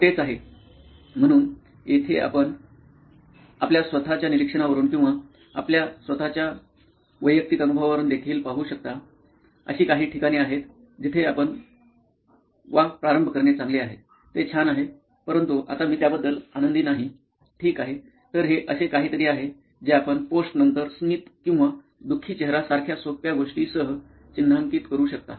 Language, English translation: Marathi, So that is it, so here also you can see from your own observations or your own personal experience, there are places where you start wow this is great, this is nice, but now, not something that I am happy about, ok, so that’s something that can you mark with a simple thing like a smiley or a sad face on the post it itself